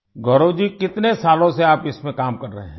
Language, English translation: Hindi, Gaurav ji for how many years have you been working in this